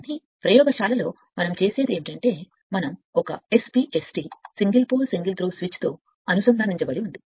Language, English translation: Telugu, But look into that in laboratory what we do that we are connected one SP ST single pole single throw switch